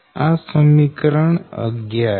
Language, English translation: Gujarati, this is equation twelve